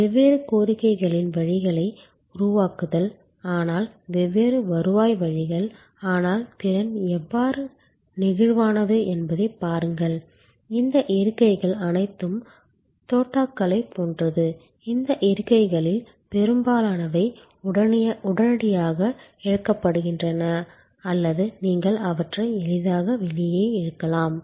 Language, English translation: Tamil, Creating different demands streams, but different revenue streams, but look at how the capacity also is flexible, these seats are all like cartridges, most of these seats are readily pluggable or you can easily pull them out